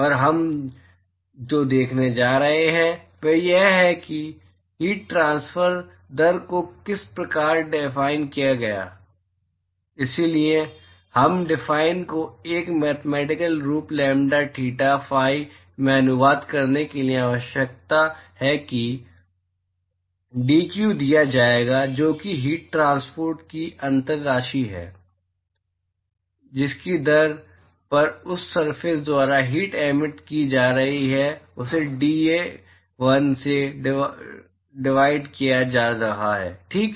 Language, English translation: Hindi, And what we are going to see is how to define heat transfer rate based on the; so need translate this definition into to a mathematical form lambda, theta, phi so that will be given dq which is the differential amount of heat transport rate, the rate at which the heat is being emitted by that surface divided by dA1, ok